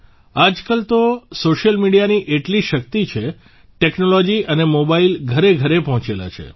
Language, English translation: Gujarati, Nowadays, the power of social media is immense… technology and the mobile have reached every home